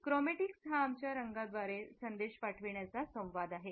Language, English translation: Marathi, Chromatics is our communication of messages through colors